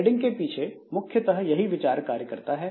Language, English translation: Hindi, So, this is essentially the idea behind this threading